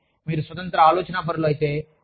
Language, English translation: Telugu, But, if you are an independent thinker